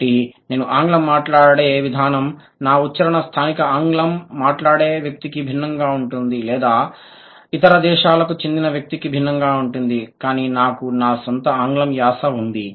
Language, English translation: Telugu, So, the way I speak English, my accent is different from a native speaker of English or a or maybe a speaker who belongs to some other countries